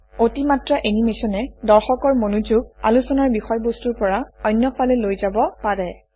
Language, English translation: Assamese, Too much animation will take the attention of the audience away From the subject under discussion